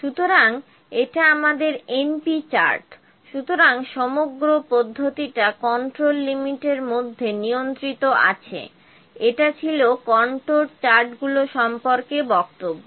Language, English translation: Bengali, So, this is our np chart, so the whole process is in control within the control limits, this was about the control charts